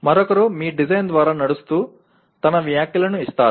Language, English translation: Telugu, That is somebody else walks through your design and gives his comments